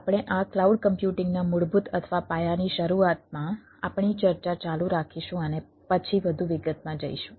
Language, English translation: Gujarati, we will continue our discussion on ah, initially on basic or foundation of these cloud computing, and then go into the more detail